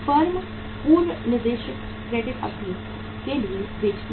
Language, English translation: Hindi, Firms sell for the for the pre specified credit periods